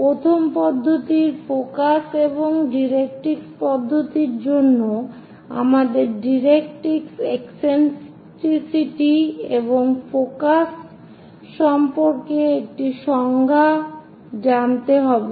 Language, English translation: Bengali, For the first method focus and directrix method, we have a definition about directrix, eccentricity and focus